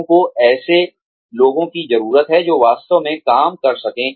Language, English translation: Hindi, People, need people, who can really work